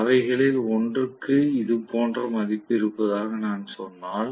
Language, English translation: Tamil, So, if I say that one of them is having a value like this